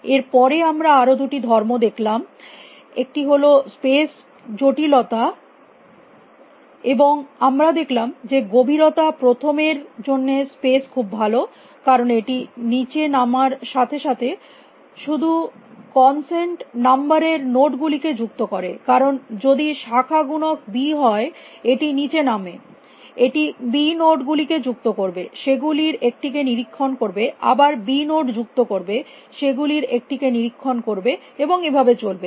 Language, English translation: Bengali, Then we saw two more properties one is space complexity, and we found that space was good for depth first because it keeps only it adds only consent number of nodes as it goes down because if the branching factor is b it goes down it will add b nodes inspect one of them then again add b nodes inspect one of them and so on